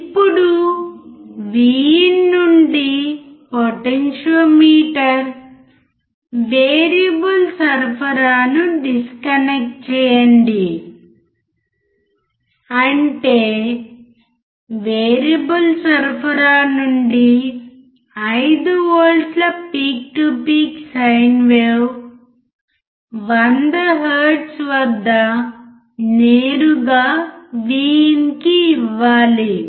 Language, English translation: Telugu, Now, disconnect the potentiometer variable supply from VIN; that means, that we have to disconnect this one from the variable supply 5 volts peak to peak sine wave at 100 hertz directly to VIN